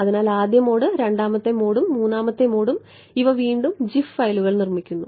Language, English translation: Malayalam, So, the first mode the second mode and the third mode and these are again gif files produced